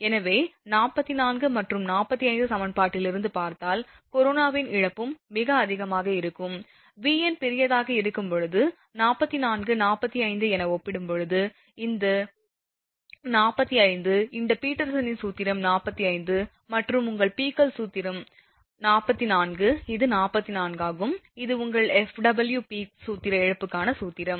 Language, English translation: Tamil, Therefore hence the corona loss also will be very high, as seen from equation 44 and 45, when V n is large as compared to I mean 44, 45 just I showed you, this is 45 this Peterson’s formula is 45 and your Peek's formula is 44, this one is 44 that is your F